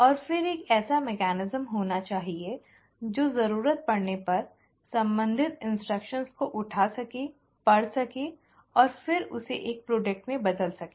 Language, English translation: Hindi, And then there has to be a mechanism which needs to, as and when the need is, to pick up the relevant instructions, read it and then convert it into a product